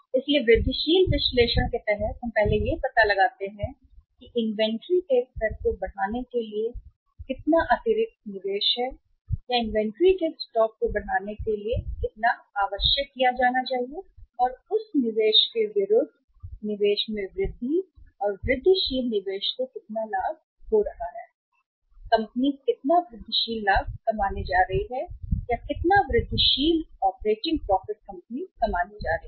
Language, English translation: Hindi, So under the incremental analysis we work out first that how much additional investment is required to be made to raise the level of inventory or to the raise the stock of the inventory and against that investment increased investment or incremental investment how much profit is going to be there